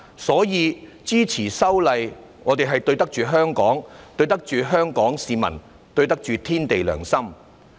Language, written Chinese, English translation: Cantonese, 所以，支持修例，我們對得起香港，對得起香港市民，對得起天地良心。, Therefore in supporting the amendment exercise we have lived up to the expectations of Hong Kong the Hong Kong public and our own conscience